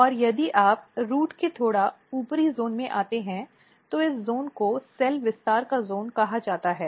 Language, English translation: Hindi, And then if you come slightly later zone of or slightly upper zone of the root, this zone is called zone of cell expansion